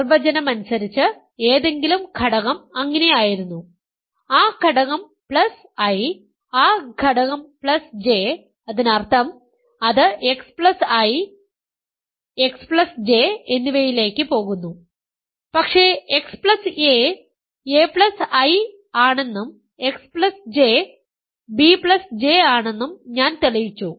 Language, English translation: Malayalam, Phi of x is x plus I comma x plus J, by definition any element was so, that element plus I, that element plus J; that means, it goes x goes to plus I, x plus J but I just proved that x plus a is a plus I and x plus J is b plus J ok